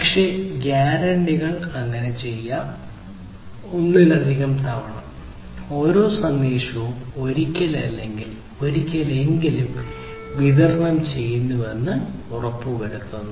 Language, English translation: Malayalam, But, these guarantees may do so, multiple times at most once which is about each ensuring that each message is delivered once or never